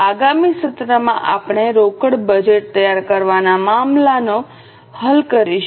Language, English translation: Gujarati, In the next session we are going to solve a case on preparation of cash budget